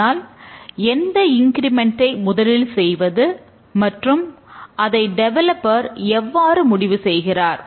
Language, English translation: Tamil, But which increment will be done first